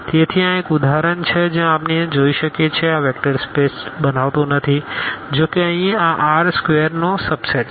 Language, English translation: Gujarati, So, this is one example where we can see that this does not form a vector space though here the; this is a subset of this R square